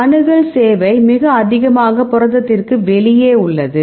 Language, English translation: Tamil, Accessibility service is very high it is outside the protein